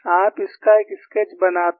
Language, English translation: Hindi, Make a sketch of this